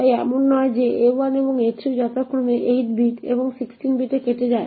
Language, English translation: Bengali, So not that a2 and a3 get truncated to 8 bit and 16 bit respectively